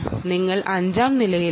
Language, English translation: Malayalam, are you in the fifth floor, sixth floor